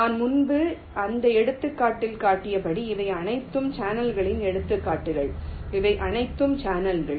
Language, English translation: Tamil, so, as i showed in that example earlier, these are all examples of channels